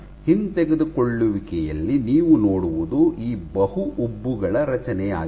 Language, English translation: Kannada, So, what you see on the retraction is the formation of these multiple bumps